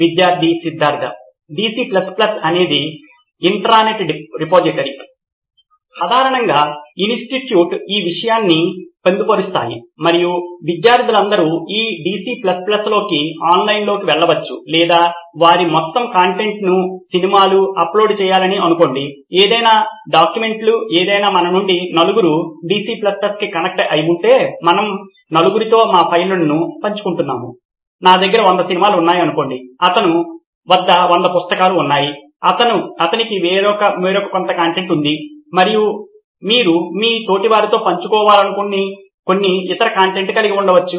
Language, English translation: Telugu, Student Siddhartha: DC++ is a intranet repository where, usually institutes incorporate this thing and all the students can go online into this DC++ either upload all their content say movies, documents anything since if we four of us are connected to DC++ and we four are sharing our files, say I have hundred movies, he has hundred books, he has some other content and you might be having some other content which you want to share it with all your peers